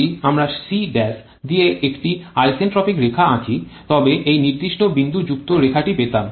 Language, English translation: Bengali, If we draw an isentropic line through the c prime then would have got this particular dotted line